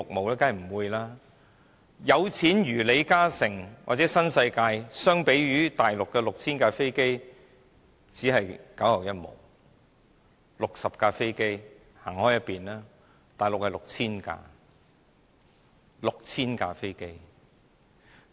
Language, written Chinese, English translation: Cantonese, 當然不會多，有錢如李嘉誠或新世界發展有限公司，相比於大陸的 6,000 架飛機只是九牛一毛，有60架飛機的只能靠邊站，因為大陸有 6,000 架。, Even those who are as wealthy as LI Ka - shing or the New World Development Company Limited the wealth they have is only a drop in the ocean when compared with the 6 000 aircraft in Mainland China . Those who have 60 aircraft have to step aside as the Mainland has 6 000 aircraft